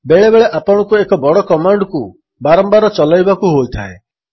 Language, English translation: Odia, It may happen that you have a large command that needs to be run again and again